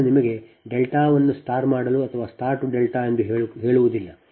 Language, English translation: Kannada, i do not tell you delta to star or star to delta, you know it right